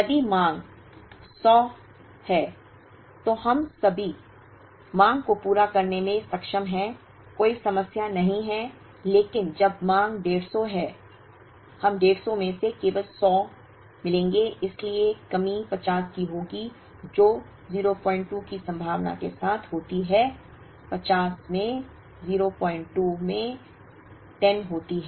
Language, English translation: Hindi, If the demand is 100, then we are able to meet all the demand, no problems but when the demand is 150 we will meet only 100 out of the 150 so shortage will be 50 which happens with the probability of 0